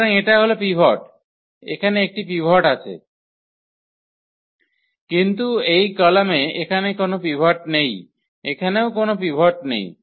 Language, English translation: Bengali, So, this pivot here there is a there is a pivot, but this column does not have a pivot here also it does not have a pivot